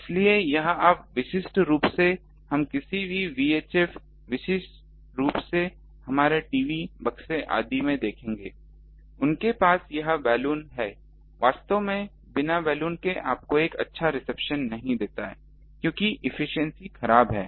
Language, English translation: Hindi, So, this is you see typical actually we will see in the any VI chip particularly our TV boxes etcetera they have that Balun without that Balun actually you don't get a good reception because the efficiency is poor